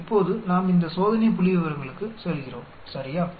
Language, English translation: Tamil, Now we go to these test statistics, ok